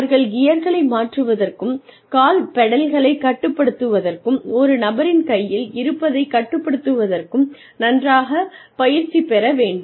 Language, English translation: Tamil, So, only after a person gets comfortable with changing gears, and with controlling the foot pedals, and with controlling, what is in a person's hand